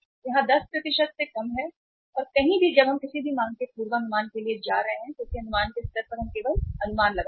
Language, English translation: Hindi, It is less than 10% and anywhere when we are we are going for the forecasting of any demand because at the level of estimation we are forecasting we are only estimating